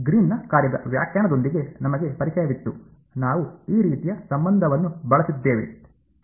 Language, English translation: Kannada, We were also familiar with the definition of the Green’s function; we had used this kind of a relation ok